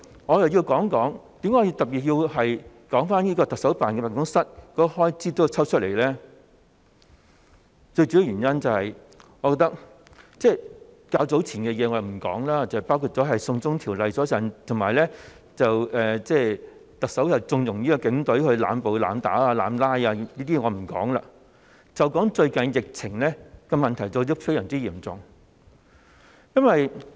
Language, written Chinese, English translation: Cantonese, 我想特別談及為何要將行政長官辦公室的開支撥款抽起，我不說較早前的事情，包括"送中條例"及特首縱容警隊濫捕、濫打的問題，就只談最近疫情非常嚴重的問題。, Here I particularly wish to talk about why the estimated expenditure for the Chief Executives Office should be taken out . Well I am not going to talk about the incidents which happened earlier including the issues concerning the China extradition bill and the Chief Executives connivance of the arbitrary arrests and excessive use of force by the Police Force . All I will speak about is the severe epidemic situation these days